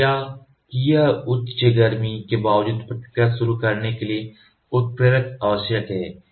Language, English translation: Hindi, Despite high heat of reaction a catalyst is necessary to initiate the reaction